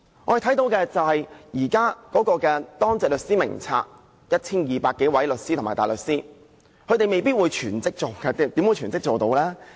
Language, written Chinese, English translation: Cantonese, 我們看到的是，現時的當值律師名冊中有 1,200 多位律師和大律師，他們未必是全職的，怎可能是全職呢？, We can see that there are 1 200 solicitors and barristers on the existing duty lawyer list . They may not be full - time duty lawyers . How can they possibly work as duty lawyers on a full - time basis?